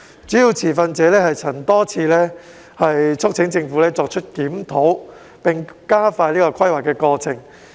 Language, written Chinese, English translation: Cantonese, 主要持份者曾多次促請政府作出檢討並加快規劃過程。, Major stakeholders have repeatedly urged the Government to conduct a review and expedite the planning processes